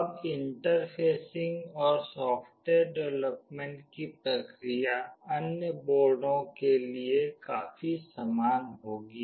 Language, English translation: Hindi, Now, the process of interfacing and software development for the other boards will be quite similar